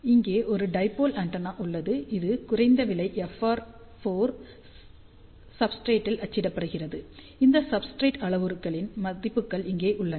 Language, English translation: Tamil, So, here is a dipole antenna which is printed on a low cost FR 4 substrate which has substrate parameters given by these values